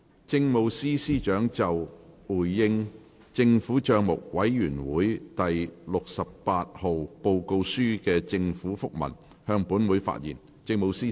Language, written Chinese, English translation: Cantonese, 政務司司長就"回應政府帳目委員會第六十八號報告書的政府覆文"向本會發言。, Address . The Chief Secretary for Administration will address the Council on The Government Minute in response to the Report of the Public Accounts Committee No . 68